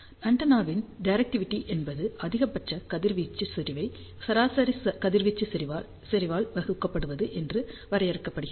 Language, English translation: Tamil, Well, directivity of the antenna is defined as maximum radiation intensity divided by average radiation intensity